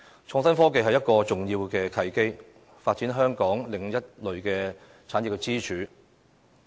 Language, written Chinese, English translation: Cantonese, 創新科技是一個重要的契機，發展香港另一類產業支柱。, Innovation and technology pose an important opportunity for developing other types of pillar industries in Hong Kong